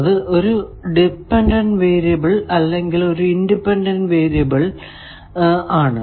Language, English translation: Malayalam, You are going from one independent variable to one dependent variable